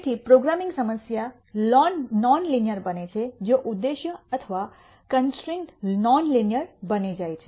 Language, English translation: Gujarati, So, a programming problem becomes non linear if either the objective or the constraints become non linear